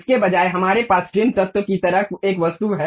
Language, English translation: Hindi, Instead of that, we have an object like trim entities